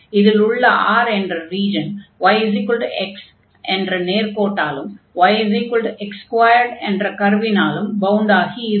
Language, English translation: Tamil, And this region is R is bounded by the line y is equal to x and the curve y is equal to x square